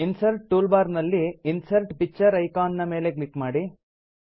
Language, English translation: Kannada, From the Insert toolbar,click on the Insert Picture icon